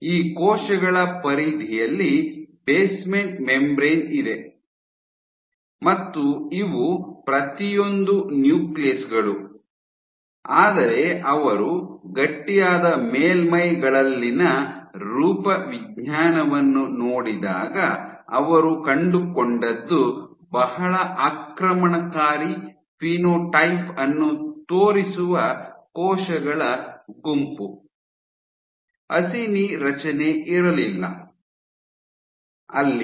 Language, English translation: Kannada, So, you have basement membrane at the periphery of these cells and these cells each of these represents the nuclei, but when she looked at the morphology on the stiff surfaces, what she found was a group of cells a very invasive phenotype, the acini structure was gone